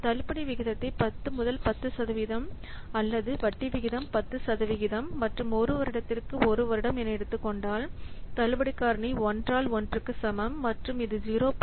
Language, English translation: Tamil, If you will take the discount rate as 10% or the interest rate at 10% and one year period for one year period, the discount factor is equal 1 by 1 plus this much 0